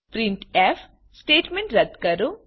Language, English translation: Gujarati, Delete the printf statement